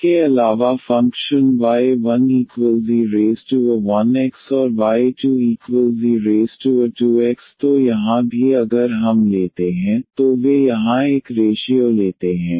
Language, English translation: Hindi, Also the functions exponential alpha 1 x and exponential alpha 2 x, so here also if we take the they take such a ratio here